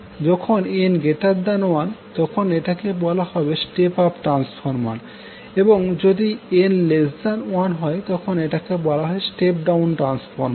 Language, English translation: Bengali, When N greater than one it means that the we have the step of transformer and when N is less than one it is called step down transformer